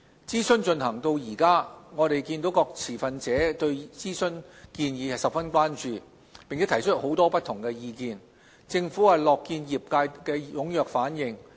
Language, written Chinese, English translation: Cantonese, 諮詢進行至今，我們看見各持份者對諮詢建議十分關注，並提出了很多不同的意見，政府樂見業界的踴躍反應。, Since the launch of the consultation we have observed stakeholders who are highly concerned about the consultation proposals put forth a large number of different views . The Government is pleased to see the overwhelming response of the industry